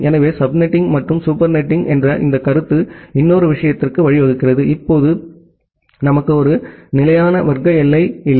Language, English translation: Tamil, So, this concept of sub netting and super netting leads to another thing like now we do not have a fixed class boundary